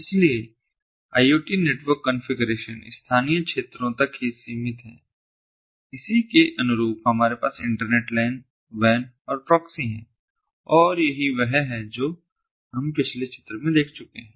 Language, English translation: Hindi, so some of the iot network configurations are restricted to local areas, very analogous to what we have as internet lans, wans and proxy, and this is what we have seen in the previous figure